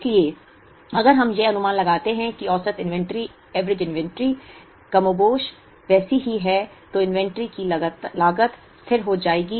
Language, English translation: Hindi, So, if we make that assumption that the average inventory is more or less the same constant, then the inventory cost will become a constant